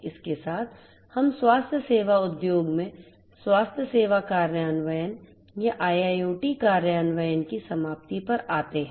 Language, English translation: Hindi, With this, we come to an end of the healthcare implementation or IIoT implementation in the healthcare industry